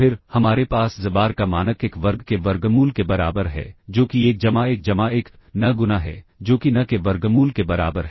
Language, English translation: Hindi, Then, we have norm of xbar equals square root of 1 square, that is 1 plus 1 plus 1, n times, that is equal to square root of n